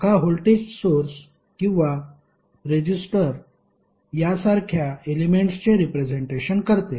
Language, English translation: Marathi, Branch represents a single element such as voltage source or a resistor